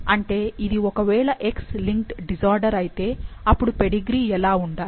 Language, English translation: Telugu, Like, if it is X linked disorder, how the pedigree should be